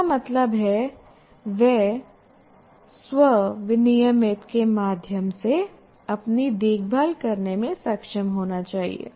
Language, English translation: Hindi, That means he should be able to take care of himself through self regulated learning